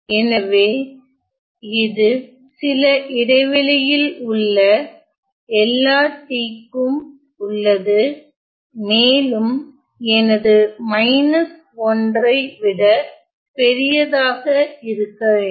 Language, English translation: Tamil, So, all t this is for all t in some interval and also that my alpha has to be bigger than minus 1